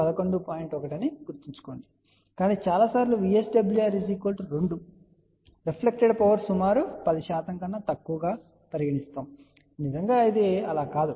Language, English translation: Telugu, 1, but many times VSWR equal to 2 is approximately considered as reflected power less than 10 percent which is not really the case